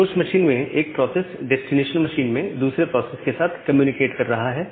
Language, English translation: Hindi, One process at the source machine is communicating with another process at the destination machine